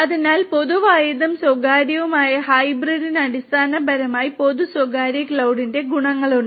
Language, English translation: Malayalam, So, both public and private and it has that advantages the hybrid basically has advantages of both the public and the private cloud